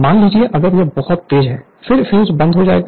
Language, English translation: Hindi, Suppose, if you move it very fast; then, fuse will be off